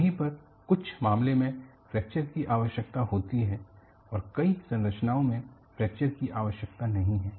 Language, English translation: Hindi, On similar vein,fracture is needed in some cases; fracture is not needed in many of the structures